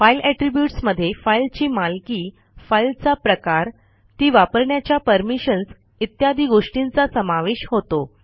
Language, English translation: Marathi, File attribute is the characteristics that describe a file, such as owner, file type, access permissions, etc